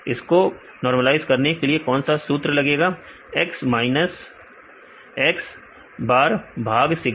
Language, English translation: Hindi, What is formula to normalize the score: x minus x bar by sigma